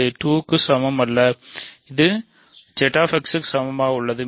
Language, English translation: Tamil, So, this is not equal to 2 and this is not equal to Z X